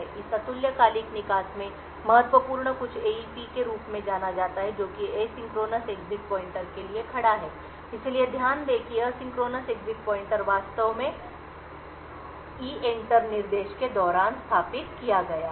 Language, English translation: Hindi, So critical in this asynchronous exit is something known as the AEP which stands for the Asynchronous Exit Pointer, so note that the Asynchronous Exit Pointer is actually set up during the EENTER instruction